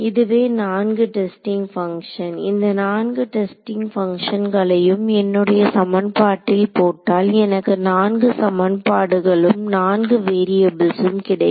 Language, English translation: Tamil, So, these are the 4 testing functions; 4 testing functions when I apply to my equation I will get 4 equations 4 variables ok